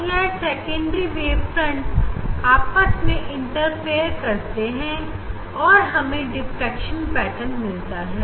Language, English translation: Hindi, So now, the secondary wavelets this; this secondary wavelets will interfere, and we will get this diffraction pattern